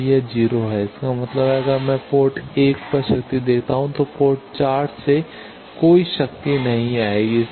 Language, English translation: Hindi, So, that is 0 that means, if I give power at port 1 is that port 4 no power will come